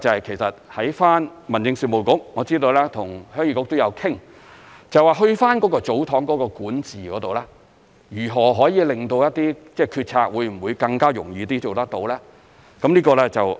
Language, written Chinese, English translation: Cantonese, 其實在民政事務局方面，我知道跟鄉議局也有商討，就祖堂的管治，如何可以令到一些決策更容易做到。, In fact as I am aware the Home Affairs Bureau has been discussing with Heung Yee Kuk on how the administration of TsosTongs can facilitate the making of decisions